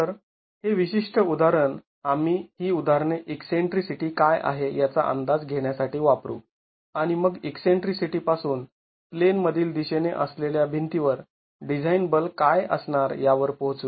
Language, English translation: Marathi, So, this particular example, we will use this example to estimate what the eccentricity is and then from the eccentricity arrive at what the design forces are going to be to the walls in the in plain direction